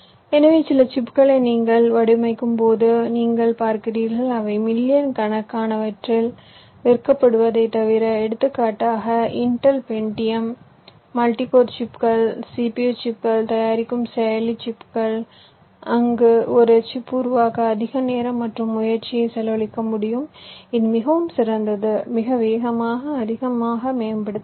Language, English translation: Tamil, so you see, ah, when you design some chips which we except to cell in millions, for example the processor chips which intel manufactures, the pentiums, the multicore chips, cpu chips they are, they can effort to spend lot more time and effort in order to create a chip which is much better, much faster, much optimize